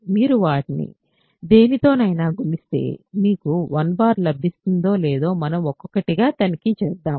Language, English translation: Telugu, So, let us check 1 by 1 if you have multiply them with any of them do you get 1 bar